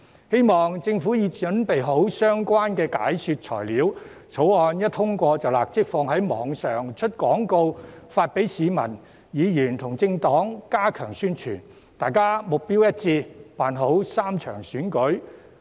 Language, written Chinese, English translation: Cantonese, 希望政府準備好相關的解說材料，《條例草案》一旦通過便立即上載網頁、推出廣告，並發送給市民、議員和政黨，加強宣傳，以便大家能目標一致地辦好3場選舉。, I hope the Government would prepare relevant explanatory materials for uploading on its website and place advertisements immediately after the Bill is passed . Such materials should also be sent to the public Members and political parties to strengthen publicity so that we can conduct the three elections properly with a common goal